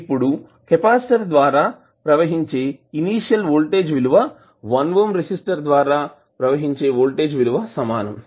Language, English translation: Telugu, Now initial voltage across the capacitor would be same as the voltage across 1 ohm resistor